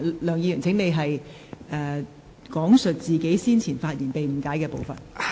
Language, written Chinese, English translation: Cantonese, 梁議員，請講述你先前發言中被誤解的部分。, Dr LEUNG please state the part of your speech earlier which has been misunderstood